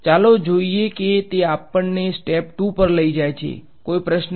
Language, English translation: Gujarati, Let see that takes us to step 2; any questions